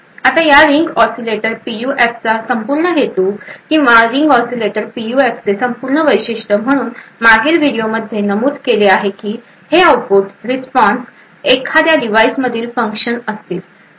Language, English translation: Marathi, Now the entire purpose of this Ring Oscillator PUF or the entire uniqueness of this Ring Oscillator PUF as mentioned in the previous video is that this output response is going to be a function of that particular device